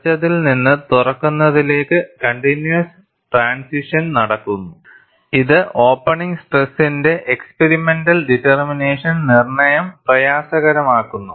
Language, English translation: Malayalam, And there is a continuous transition from closed to open, making experimental determination of the opening stress difficult